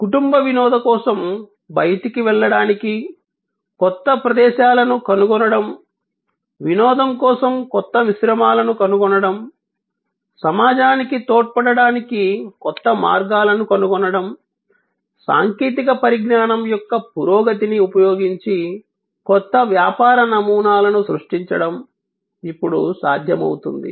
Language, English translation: Telugu, To find new places to go out to for a family entertainment, to find new composites for entertainment, finding new ways to contribute to society, all that are now possible due to creation of new business models using advances in technology